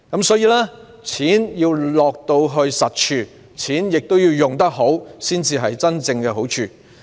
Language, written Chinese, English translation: Cantonese, 所以，錢要落到實處，亦要花得好，才能真正帶來好處。, Therefore funding should be provided for practical purposes and well - spent so as to generate benefits